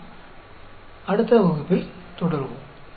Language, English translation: Tamil, We will continue in the next class